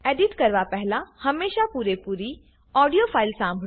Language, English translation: Gujarati, Before editing, always listen to the whole audio file